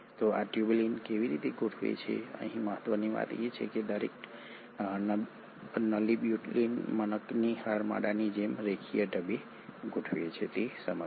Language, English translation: Gujarati, So how do these tubulins arrange, what is important here is to understand that each tubulin arranges in a linear fashion, like a string of beads